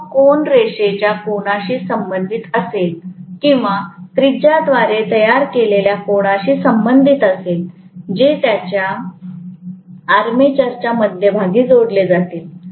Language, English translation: Marathi, That angle will be corresponding to the angle subtended by the the line or the radius that is joining it to the centre of the armature right